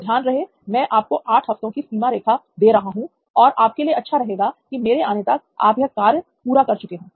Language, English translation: Hindi, So remember, I am giving you an 8 week deadline and it better be done, by the time I get back